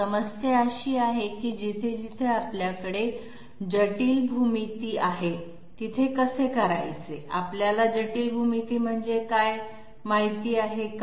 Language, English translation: Marathi, Problem is, wherever we have complex geometry, what do we mean by complex geometry